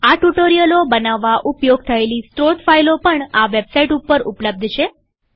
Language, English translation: Gujarati, Source files used to create these tutorials are also available at this website